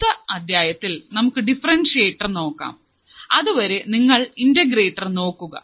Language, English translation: Malayalam, We will see the differentiator in the next module, till then you just quickly see the integrator